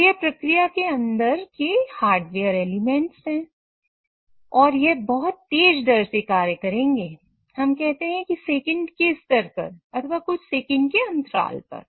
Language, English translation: Hindi, So these are the hardware elements inside the process and they will operate at a very fast rate, let's say at a second level or at the time interval of few seconds